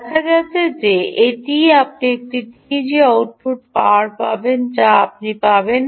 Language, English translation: Bengali, it turns out that this what you will get: output power of the teg is this what you will get